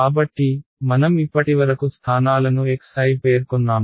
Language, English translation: Telugu, So, far have we specified the locations x i